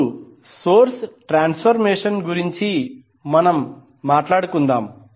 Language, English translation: Telugu, Now let us talk about the source transformation